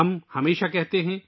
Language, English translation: Urdu, We always say